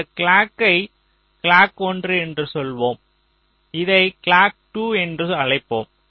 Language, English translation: Tamil, lets say this clock is clock one, lets call this as clock two